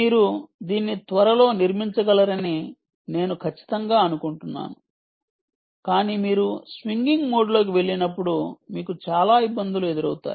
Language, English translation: Telugu, i am sure you will be able to build it soon, but you will find a lot of difficulty when you go into, ah, swinging mode